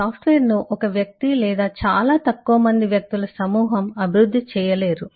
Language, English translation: Telugu, software cannot be developed by individuals or very small group of people